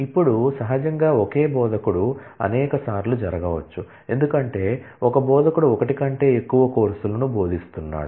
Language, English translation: Telugu, Now, naturally there could be multiple the same instructor could happen multiple times, because an instructor may be teaching more than one course